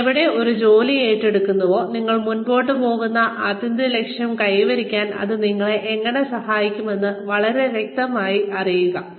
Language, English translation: Malayalam, Wherever you take up a job, please know, very clearly, how it is going to help you achieve, the ultimate objective, that you are moving forward for